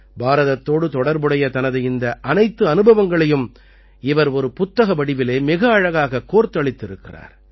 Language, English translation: Tamil, Now he has put together all these experiences related to India very beautifully in a book